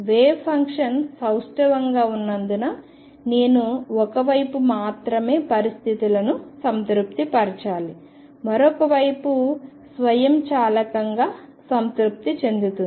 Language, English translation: Telugu, Since the wave function is symmetric I need to satisfy conditions only on one side the other side will be automatically satisfied